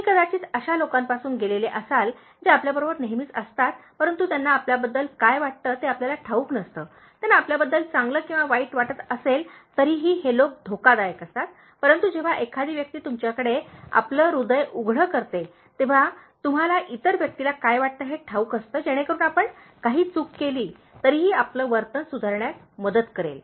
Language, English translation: Marathi, You might have come across those people who are always with you, but you never know what they are feeling about you, whether they are feeling good or bad about you, so these people are dangerous, but whereas somebody who makes his or heart open to you, you know what the other person is feeling, so that will help you to correct your behavior even if you make some mistake